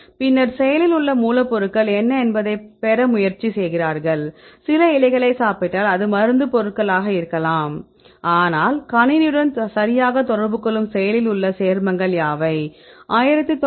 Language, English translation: Tamil, Then they try to get what is the active ingredient, if you eat some of the leaves it can be medicinal, but what are the active compounds which one interact with the system right